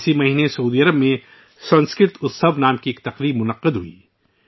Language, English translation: Urdu, This month, an event named 'Sanskrit Utsav' was held in Saudi Arabia